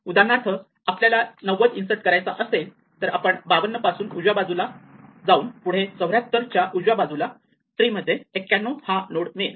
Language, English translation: Marathi, So, if now we try to for instance insert ninety one then we go right from 52 we go right from 74 and now we find that 91 is already present in the tree